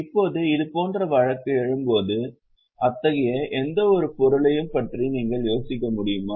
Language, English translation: Tamil, Now when such case will arise, can you think of any such item